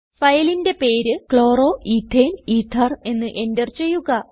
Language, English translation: Malayalam, Enter the file name as Chloroethane ether